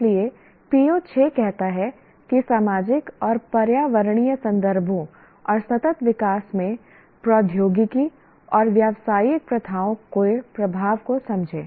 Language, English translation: Hindi, So the PO6 is understand the impact of technology and business practices in societal and environmental context and sustainable development